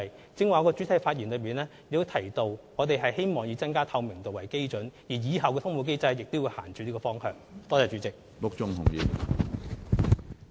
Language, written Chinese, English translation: Cantonese, 我剛才在主體答覆中提到，我們希望以增加透明度為基準，而日後的通報機制亦會朝這個方向走。, As I have just said in the main reply it is our aim to enhance transparency and we will go in this direction in our effort to improve the reporting mechanism